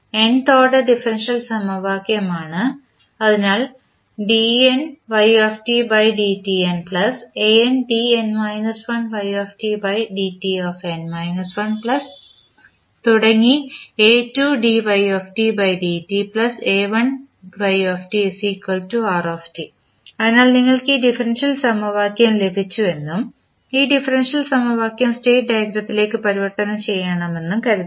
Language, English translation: Malayalam, So, this is suppose you have got this differential equation and you have to convert this differential equation into state diagram